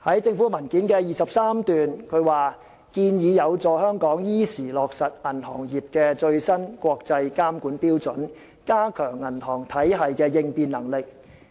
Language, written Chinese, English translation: Cantonese, 政府在文件第23段提到："建議有助香港依時落實銀行業的最新國際監管標準，加強銀行體系的應變能力。, The Government says in paragraph 23 of the paper The proposals will facilitate the timely implementation of the latest international standards on banking regulation in Hong Kong thereby enhancing the resilience of our banking system